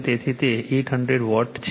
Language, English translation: Gujarati, So, it is 8 800 Watt